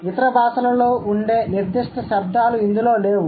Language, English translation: Telugu, It does not contain certain sounds that other languages have